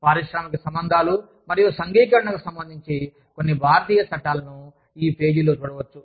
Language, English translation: Telugu, Some Indian laws, related to, Industrial Relations and Unionization, can be found, on this page